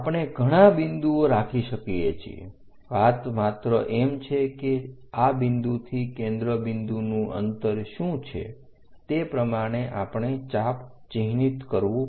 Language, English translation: Gujarati, We can have many more points, only thing is from this point we have to mark what is this distance from focus point make an arc